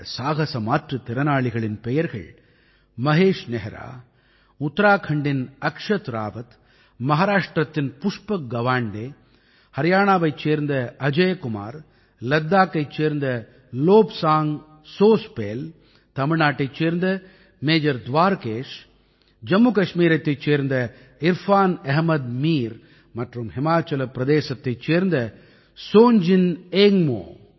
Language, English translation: Tamil, The names of these brave Divyangs are Mahesh Nehra, Akshat Rawat of Uttarakhand, Pushpak Gawande of Maharashtra, Ajay Kumar of Haryana, Lobsang Chospel of Ladakh, Major Dwarkesh of Tamil Nadu, Irfan Ahmed Mir of Jammu and Kashmir and Chongjin Ingmo of Himachal Pradesh